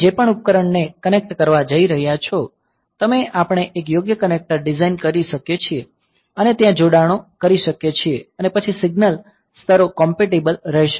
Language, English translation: Gujarati, So, whatever device you are going to connect; so, we can design a suitable connector and do the connections there then the signal levels will be compatible